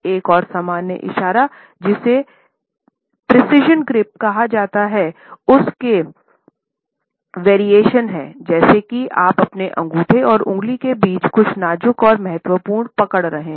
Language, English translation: Hindi, Another common gesture is what can be termed as the precision grip and its variations, as if you are holding something delicate and important between your thumb and your fingertips